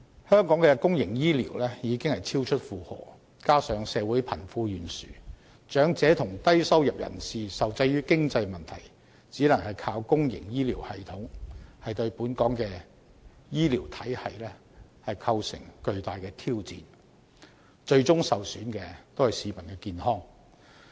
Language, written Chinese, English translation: Cantonese, 香港的公營醫療已超出負荷，加上社會貧富懸殊，長者及低收入人士受制於經濟問題，只能依靠公營醫療系統，對本港的醫療體系構成巨大挑戰，最終受損的是市民的健康。, Hong Kongs overloaded public medical system together with wealth disparity in society and the sole reliance of elderly and low - income people on public medical services due to financial constraints has posed a huge challenge to Hong Kongs health care system and peoples health will be adversely affected in the end